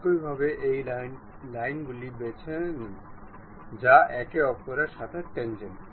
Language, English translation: Bengali, Similarly, pick this line this line they are tangent with each other